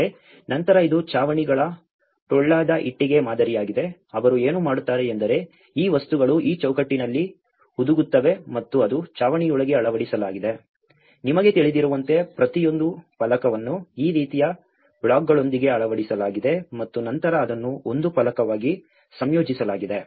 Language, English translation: Kannada, But then this is a hollow brick model of roofs, what they do is these things will embedded into this frame and that becomes into the roof, you know so each panel is fitted with these kind of blocks and then it composed as one panel